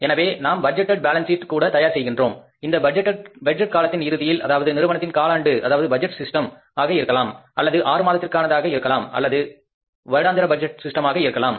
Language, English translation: Tamil, So we prepare the budgeted balance sheet also say that at the end of that budget period, maybe it's a quarter if it is a quarterly budgeting system in the firm or maybe it is a six month or annual budgeting system in the firm